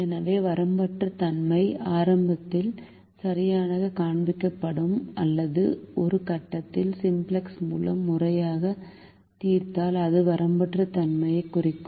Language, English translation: Tamil, so either unboundedness will be shown right at the beginning or, if we systematically solve it by simplex, at some point it will indicate unboundedness